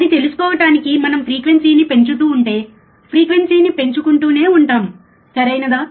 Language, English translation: Telugu, To to know that, we will if we keep on increasing the frequency, we keep on increasing the frequency, right